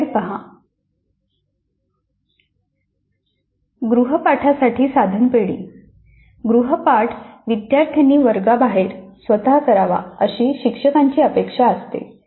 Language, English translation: Marathi, Now assignments are typically what the teacher expects the students who work on on their own outside the classroom